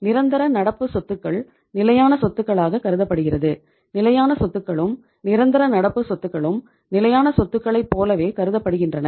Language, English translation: Tamil, Permanent current assets are also considered as fixed assets and both these assets, means fixed assets and permanent current assets are as good as fixed assets